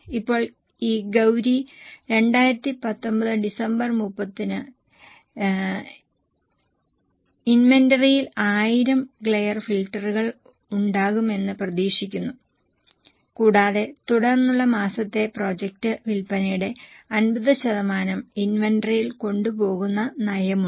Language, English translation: Malayalam, Now this Gauri expects to have 1000 glare filters in the inventory at December 31st 2019 and has a policy of carrying 50% of following months projected sales in inventory